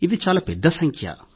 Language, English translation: Telugu, This is a very big number